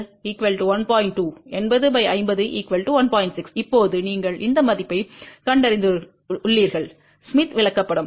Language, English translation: Tamil, 6, now you locate this value on the smith chart